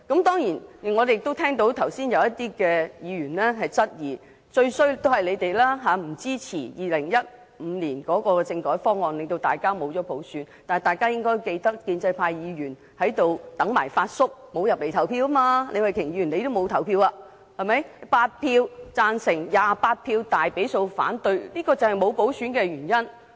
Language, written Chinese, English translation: Cantonese, 當然，剛才有些議員質疑，由於我們不支持2015年的政改方案，以致沒有普選，但大家應該記得，建制派議員在立法會"等埋發叔"，沒有進入會議廳投票，李慧琼議員也沒有投票，結果8票贊成 ，28 票大比數反對政改方案，這就是沒有普選的原因。, Earlier some Members questioned whether it was because we had not supported the constitutional reform package in 2015 that universal suffrage could not be implemented . However Members would probably remember that since the pro - establishment Members were waiting for Uncle Fat in the Legislative Council Complex and did not enter the Chamber to cast their votes there were 8 votes in favour of the constitutional reform package and 28 votes against it and the package was overwhelmingly vetoed . That is one reason why universal suffrage cannot be implemented